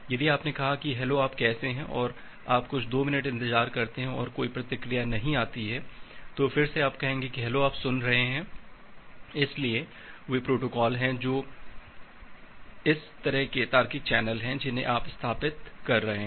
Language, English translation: Hindi, If you have said that hello how are you and you are waiting for some 2 minutes and no response is coming, then again you will say that hello are you hearing, so those are the protocols those are the kind of logical channels which you are establish establishing